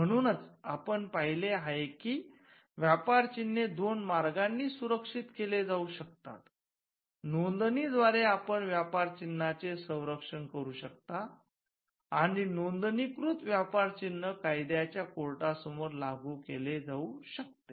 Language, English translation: Marathi, So, we have seen that, trademarks can be protected by two means, by a registration you can protect trademarks and a registered trademark can be enforced before a court of law